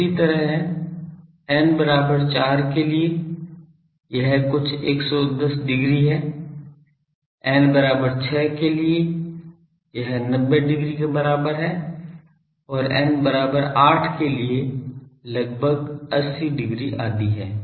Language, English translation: Hindi, Similarly, for n is equal to 4 it is something like 110 degree, for n is equal to 6 it is 90 no n is equal to 6 will be something like 90 degree and for n is equal to 8 something like 80 degree etc